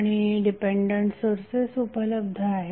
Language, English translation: Marathi, And the dependent sources are also available